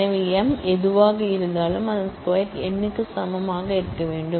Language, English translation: Tamil, So, whatever m is that square of it must equal n